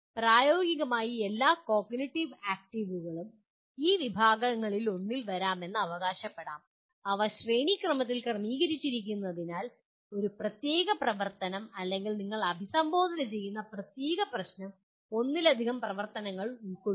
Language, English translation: Malayalam, And practically all cognitive actives can be it is claimed can be can come under one of these categories and they are hierarchically arranged so a particular activity or a particular problem that you are addressing may involve activities at more than one level